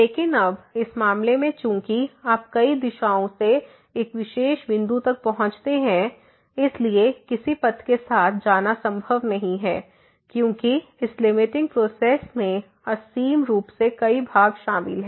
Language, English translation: Hindi, But now, in this case since you can approach to a particular point from the several direction, it is not possible to get as the along some path because there are infinitely many parts involved in this limiting process